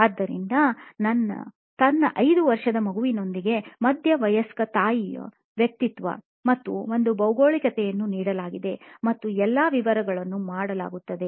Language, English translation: Kannada, So, this is her persona of a middle age mother with her 5 year child and the geography is given and all the detailing is done